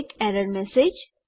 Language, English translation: Gujarati, an error message